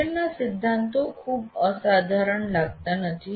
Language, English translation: Gujarati, The principles of learning do not look very odd